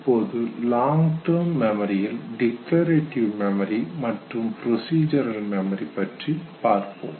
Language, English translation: Tamil, Now long term memory you can divide it into declarative and procedural memory this we will come to it little later